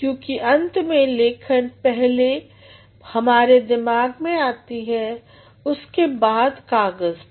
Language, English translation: Hindi, Because ultimately writing first develops in our mind and then it comes to the paper